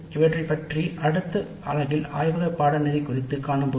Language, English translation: Tamil, We will discuss these issues in the next unit